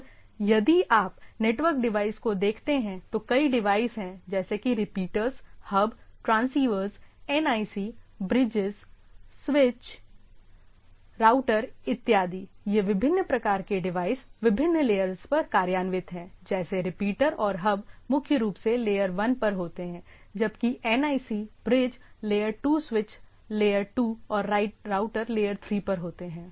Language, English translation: Hindi, And if you look at the network devices, there are several devices repeaters, hubs, transceivers, NICs, bridge, switches, routers; these are the different type of devices we have to see, which are at different layers like repeaters and hubs primarily at the layer 1 whereas, whereas NIC, bridges, layer 2 switches are layer 2 and routers and so forth